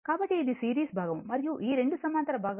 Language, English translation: Telugu, So, this is a see this is series part and this 2 are parallel part